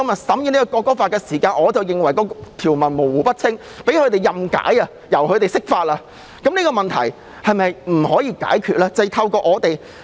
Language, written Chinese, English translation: Cantonese, 同樣道理，今天審議的《條例草案》條文模糊不清，可以被任意解釋，這個問題是否不可以解決呢？, By the same token when the clauses of the Bill under scrutiny today are ambiguous and can be interpreted arbitrarily can this problem not be solved?